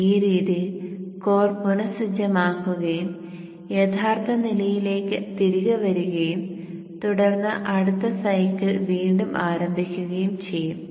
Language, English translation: Malayalam, So in this way the core will reset and will be brought back to the original status and then the next cycle will start again